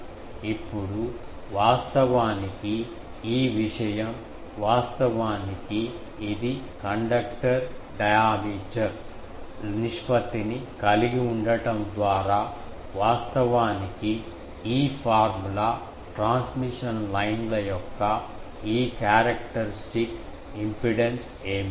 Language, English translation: Telugu, Now, actually this thing, actually this by having the ratio of this conductor diameters to actually that formula that this formula what is this characteristic impedance of the transmission lines